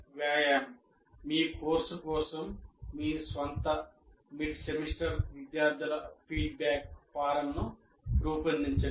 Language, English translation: Telugu, Here, just a simple exercise, design your own mid semester student feedback form for your course